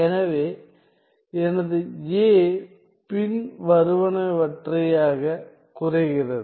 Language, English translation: Tamil, So, my A reduces to the following